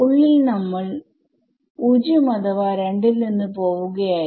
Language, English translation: Malayalam, The inside we were just going from 0 or 2 2